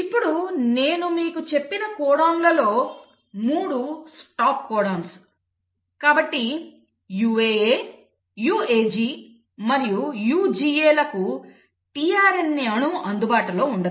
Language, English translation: Telugu, Now among the codons as I told you, 3 of them are stop codons, so for UAA, UAG and UGA there is no tRNA molecule available